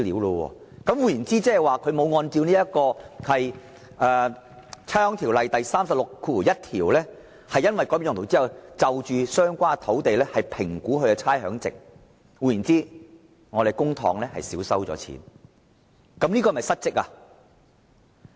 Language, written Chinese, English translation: Cantonese, 換言之，估價署未有按照《差餉條例》第361條的規定，在有關地段改變用途後評估其差餉值，那麼政府便少收了稅款。, In other words such lots have not been assessed to rates by RVD in accordance with section 361 of the Ordinance after a change in land use resulting in a large sum of rates forgone